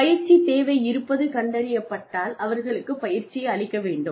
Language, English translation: Tamil, If the training need is found to be there, then they have trained